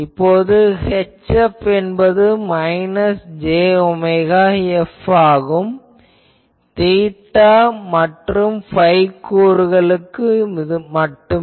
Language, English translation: Tamil, So, from here I can say H F is equal to minus j omega F for theta and phi components only